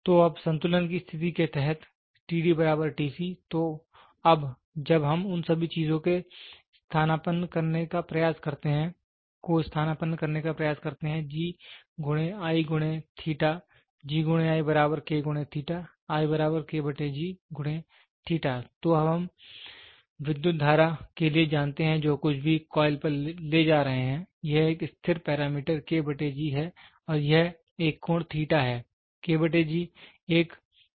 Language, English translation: Hindi, So, now, when we try to substitute all those things G into I equal to K into theta, so now, we know for the current whatever is carrying to the coil this is a constant parameter and this is an angle